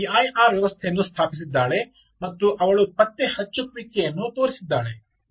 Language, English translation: Kannada, so what she has done here is she has set up a p i r system and she has shown a detection